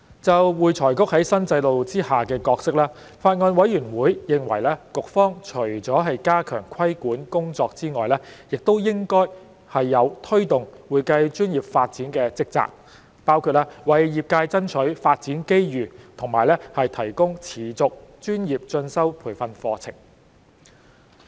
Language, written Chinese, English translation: Cantonese, 就會財局在新制度下的角色，法案委員會認為局方除了加強規管工作外，亦應有推動會計專業發展的職責，包括為業界爭取發展機遇及提供持續專業進修培訓課程。, Regarding the role of AFRC under the new regime the Bills Committee considers that apart from strengthening regulatory work AFRC should be entrusted with the duty to promote the development of the accounting profession which includes pursuing development opportunities and providing continuing professional development CPD training programmes for the accounting profession